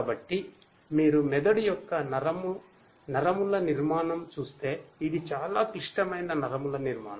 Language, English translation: Telugu, So, if you look at the neuron, neural structure of the brain you know it is a very complicated neural structure